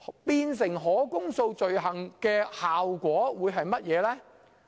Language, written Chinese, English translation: Cantonese, 變成可公訴罪行的效果是甚麼呢？, What is the effect of making it an indictable offence?